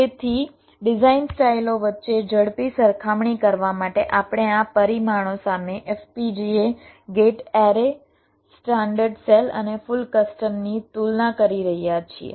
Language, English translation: Gujarati, so in order to make a quick comparison among the design styles, so we are comparing fpga, gate array, standard cell and full custom